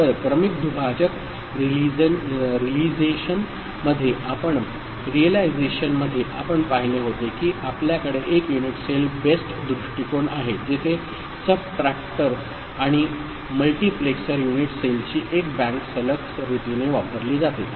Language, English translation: Marathi, So, in serial divider realization the one that we had seen we have a unit cell based approach where one bank of unit cell comprising of subtractor and multiplexer is used in a successive manner ok